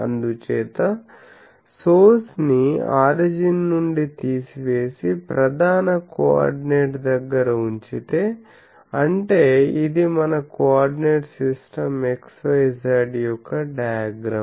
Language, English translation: Telugu, So, if the source is removed from the origin and placed at a position represented by prime coordinates that means, if I has this diagram that this is my coordinate system xyz